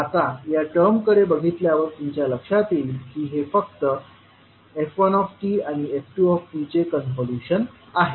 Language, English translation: Marathi, Now if you see this particular term this is nothing but the convolution of f1 and f2